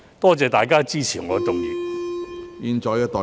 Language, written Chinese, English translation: Cantonese, 多謝大家支持我動議的議案。, Thank you for supporting the motion moved by me